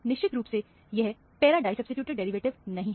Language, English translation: Hindi, So, this is definitely not a para disubstituted derivative